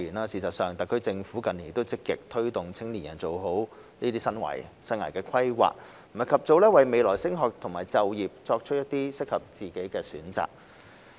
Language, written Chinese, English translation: Cantonese, 事實上，特區政府近年已積極推動青年人做好生涯規劃，及早為未來升學及就業作出適合自己的選擇。, In fact in recent years the SAR Government has been actively promoting young people to make better career and life planning so that they can make a choice that will suit themselves between future studies and employment as early as possible